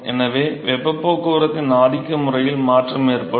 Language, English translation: Tamil, So, there will be a change in the dominant mode of heat transport